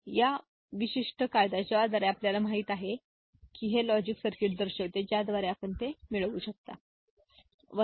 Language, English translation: Marathi, So, this particular law by which you know this shows the logic circuit by which you can get it, right